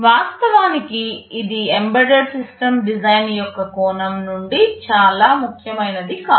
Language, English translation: Telugu, Of course, it is not so much important from the point of view of embedded system design